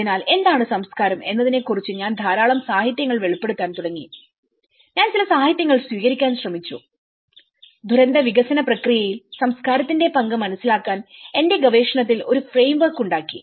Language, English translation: Malayalam, So, this is where when I started revealing a lot of literature on what is culture and that is where I try to adopt certain literatures and made a framework in my research, in order to understand the role of culture, in the disaster development process